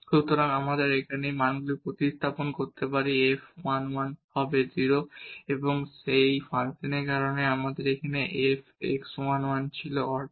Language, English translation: Bengali, So, we can substitute these values here f 1 1 will be 0, because of that function and here f x at 1 1 was half